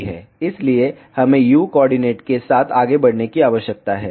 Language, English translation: Hindi, So, we need to move along u coordinate